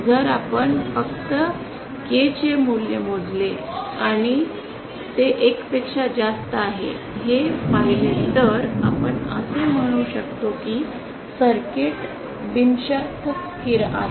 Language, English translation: Marathi, If you simply calculate the value of K and see that it is greater than 1 then we can say that the circuit is unconditionally stable